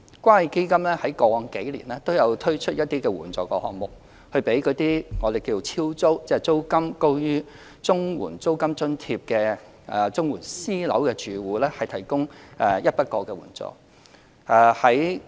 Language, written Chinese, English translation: Cantonese, 關愛基金在過往數年均有推出一些援助項目，給予所謂"超租"即向租金高於綜援租金津貼最高金額的綜援私樓住戶提供一筆過援助。, The Community Care Fund CCF has introduced some subsidy items in the past few years for the so - called actual rent exceeding MRA cases where a one - off subsidy will be provided to CSSA households living in rented private housing and paying a rent exceeding the maximum rent allowance under the CSSA Scheme